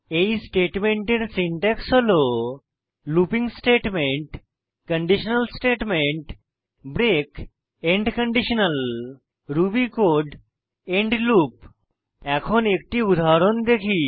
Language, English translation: Bengali, The syntax for the break statement in Ruby is a looping statement a conditional statement break end conditional ruby code end loop Let us look at an example